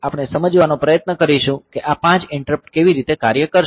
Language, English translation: Gujarati, So, we will try to understand how these 5 interrupts will operate